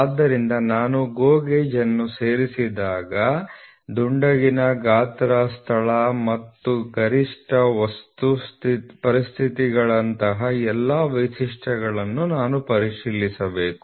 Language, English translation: Kannada, So, when I insert the GO gauge I should check for all for the all features such as roundness, size, location as well as the maximum material conditions